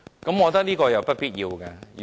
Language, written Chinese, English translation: Cantonese, 我覺得這是不必要的。, I think this is unnecessary